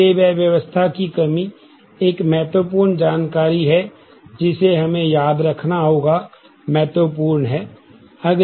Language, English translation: Hindi, So, that lack of ordering is critical information that we will have to remember in mind next concept is key